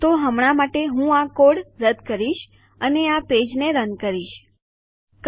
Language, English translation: Gujarati, So Ill get rid of this code for now and run this page, okay